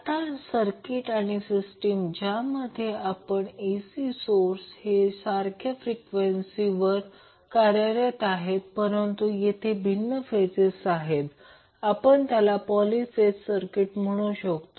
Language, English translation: Marathi, Now, there are circuits or systems in which AC source operate at the same frequency, but there may be different phases So, we call them as poly phase circuit